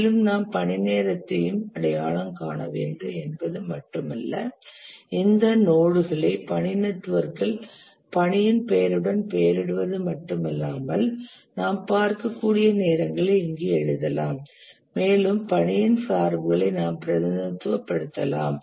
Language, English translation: Tamil, We not only label these nodes on the task network with the name of the task, but also we write the durations here as you can see and we represent the dependencies among the task